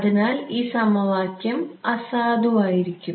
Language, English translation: Malayalam, So, this equation is not valid